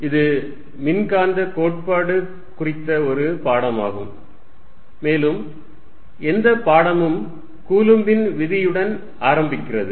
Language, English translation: Tamil, This is a course on Electromagnetic Theory and any courses starts with Coulomb's Law